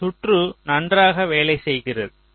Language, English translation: Tamil, so you see, this circuit works perfectly well